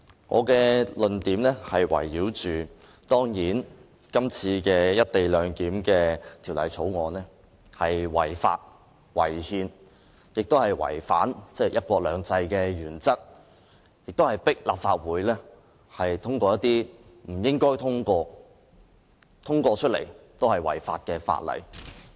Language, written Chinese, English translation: Cantonese, 我的論點主要是圍繞《條例草案》屬違法、違憲，亦違反"一國兩制"的原則，但政府卻迫使立法會通過這項不該通過，而即使通過了也是違法的法案。, My arguments mainly revolve around the point that the Bill is unlawful and unconstitutional and that it has violated the principle of one country two systems . However the Government has forced the Legislative Council to pass this Bill which should not be passed or even if the Bill is passed it will still be unlawful